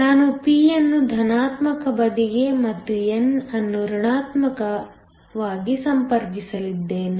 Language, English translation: Kannada, I am going to connect the p to the positive side and n to the negative